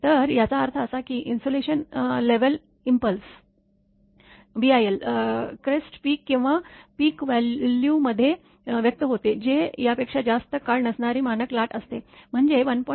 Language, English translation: Marathi, So; that means, insulation level expressed in impulse crest peak or peak value, which is standard wave not longer than this one, i mean 1